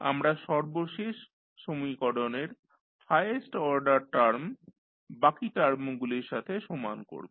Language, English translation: Bengali, We will equate the highest order term of the last equation to the rest of the terms